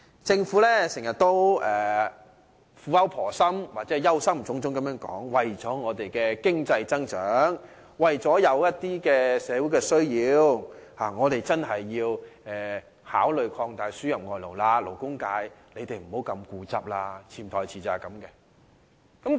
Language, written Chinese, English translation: Cantonese, 政府經常苦口婆心或憂心忡忡地表示，為了香港的經濟增長，為了社會的需要，我們真的應考慮擴大輸入外勞，勞工界不應太固執。, The Government always says earnestly or anxiously that for the sake of our economic growth and for the sake of meeting the needs of the community we really have to consider expanding the importation of foreign labour and the labour sector should not be so stubborn